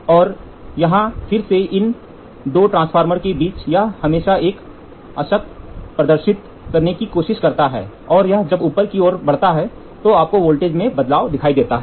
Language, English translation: Hindi, And again here it is between these two transformers it always try to display a null and when it is move upward down then you see a change in voltage